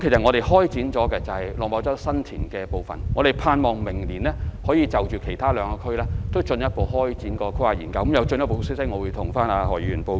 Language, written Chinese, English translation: Cantonese, 我們已開始規劃新田/落馬洲區，希望明年可以就其他兩區展開規劃研究，有進一步消息的時候，我會向何議員報告。, We have commenced planning for the San TinLok Ma Chau Development Node and we hope to carry out the planning studies for the other two PDAs next year . If there is any update I will inform Dr HO accordingly